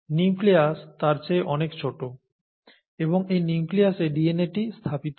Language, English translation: Bengali, The nucleus is much smaller than that and in the nucleus this DNA gets packaged, right